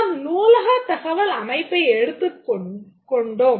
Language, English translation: Tamil, For example, let's take about the library information system